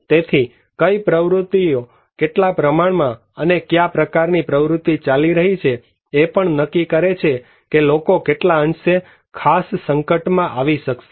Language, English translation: Gujarati, So what kind of activities, amount and type of activities are going so, these also defined that how many and what extent people are exposed to a particular hazard